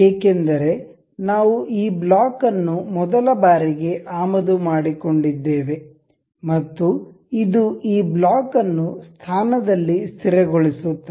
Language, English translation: Kannada, This is because we have imported this block in the very first time in the very first time and this makes us this makes this block fixed in the position